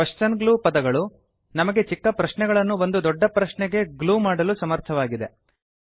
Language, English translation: Kannada, Question glue words enable us to glue small questions into one big question